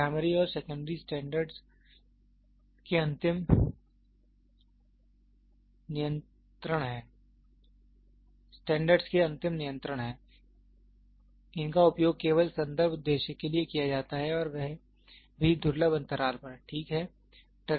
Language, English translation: Hindi, Primary and secondary standards are the ultimate control of standards, these are used only for reference purpose and that to at rare intervals, ok